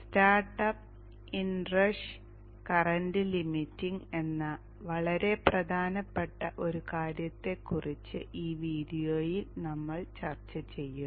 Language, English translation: Malayalam, In this video, we shall discuss about a very important point that is start up in rush current limiting